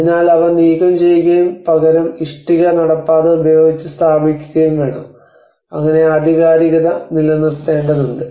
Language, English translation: Malayalam, So they need to be removed and replaced with the brick paving so in that way that authenticity has to be maintained